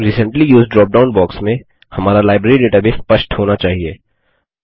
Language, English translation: Hindi, In the Recently Used drop down box, our Library database should be visible, So now, click on the Finish button